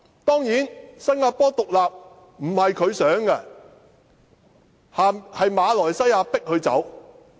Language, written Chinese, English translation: Cantonese, 當然新加坡獨立並非他所想，是馬來西亞強迫他們脫離。, Of course it was not his idea to separate Singapore from Malaysia but rather the latters insistence to do so